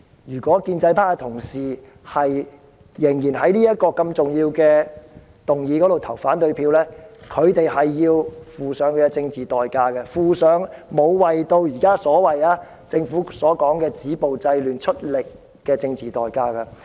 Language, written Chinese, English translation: Cantonese, 如果建制派同事仍然就這項重要議案投反對票，便須付上政治代價，付上沒有為政府現在所謂"止暴制亂"出力的政治代價。, If Honourable colleagues of the pro - establishment camp still vote against this important motion they will have to pay a political price the political price for not making an effort to stop violence and curb disorder as currently avowed by the Government